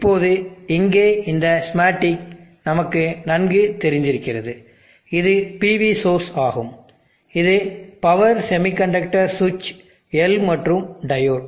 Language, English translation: Tamil, Now this schematic here, we are familiar with this is the PV source, this is the power semiconductor switch L and the diode